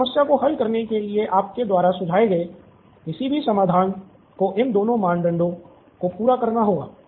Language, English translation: Hindi, Any solution that you suggest to solve this problem has to satisfy both these criteria